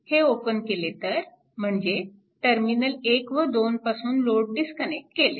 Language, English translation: Marathi, If you open this, I mean from terminal 1 and 2, this load is disconnected